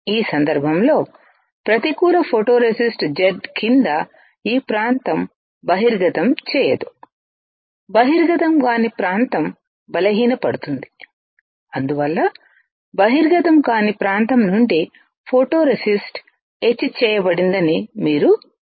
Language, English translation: Telugu, In this case negative photoresist the area which is not exposed this area under Z the area which is not exposed gets weaker that is why you can see that photoresist from the area which was not exposed is etched is removed